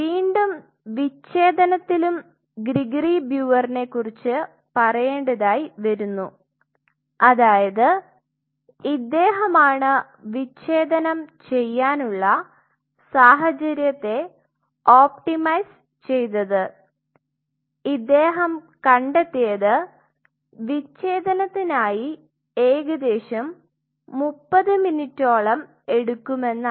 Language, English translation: Malayalam, Now, this dissociation which again the word has to be referred to Gregory brewer, he optimized the condition he found that this dissociation more or less takes around 30 minutes